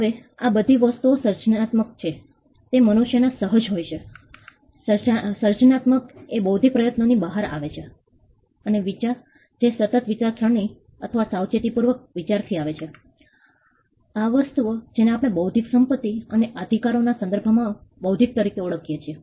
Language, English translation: Gujarati, Now, all these things creativeness, that is inherent in human beings, creativity that comes out of an intellectual effort, and idea that comes from constant thinking or careful thinking; these things is what we referred to as intellectual in the context of intellectual property rights